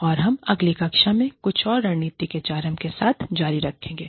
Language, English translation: Hindi, And, we will continue with, some more strategic HRM, in the next class